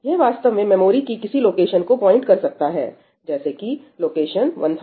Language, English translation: Hindi, This actually points to some location maybe this is location 1002